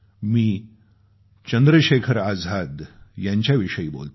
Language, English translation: Marathi, I am talking about none other than Chandrasekhar Azad